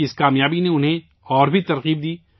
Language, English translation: Urdu, This success of his inspired him even more